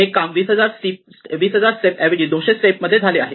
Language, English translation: Marathi, So instead of 20000 steps, I have done it in 200 steps